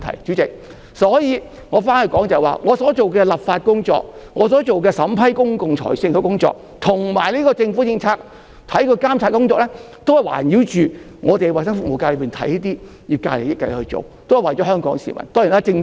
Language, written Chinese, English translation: Cantonese, 主席，所以，話說回來，我所做的立法工作、審批公共財政工作，以及監察政府政策工作，均是以環繞衞生服務界的利益來進行，都是為了香港市民。, Therefore President back on topic all my efforts in enacting legislation reviewing public finances and monitoring government policies have been made in the interests of the health services sector and for Hong Kong people